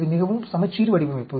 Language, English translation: Tamil, So, it is not a really balanced design